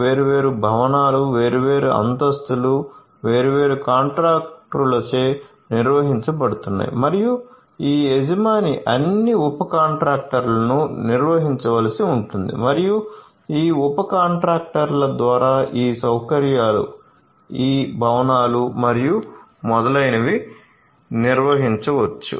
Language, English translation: Telugu, We may have the different subcontractors performing different things like different buildings, different floors could be handled by the subcontractors and what is required is to have this owner manage all the subcontractors and through these subcontractors manage these facilities these buildings and so on